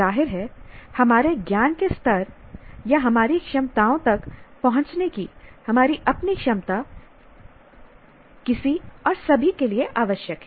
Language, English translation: Hindi, Obviously, our own ability to assess our knowledge levels or our capabilities is necessary for anyone and everyone